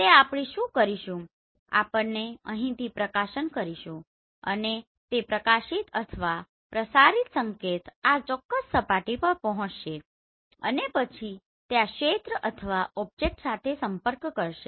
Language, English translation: Gujarati, So what we will do so we will illuminate from here and that illuminated or the transmitted signal will reach to this particular surface and then it will interact with this area or the object